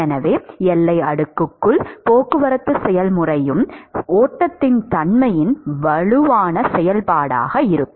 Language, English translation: Tamil, So, therefore, any transport process inside the boundary layer is going to be a strong function of the nature of the flow itself ok